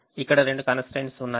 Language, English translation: Telugu, now i have two constraints